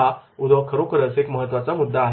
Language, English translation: Marathi, This is very, very important point